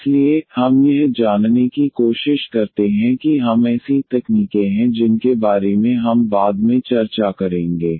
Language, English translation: Hindi, So, we try to find I mean that is the techniques we will discuss later on